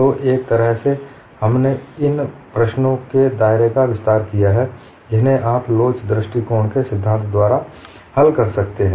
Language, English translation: Hindi, So in a sense it has expanded the scope of problems that you could solve by a theory of elasticity approach